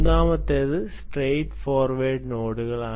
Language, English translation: Malayalam, well, third is pretty, pretty straight forward nodes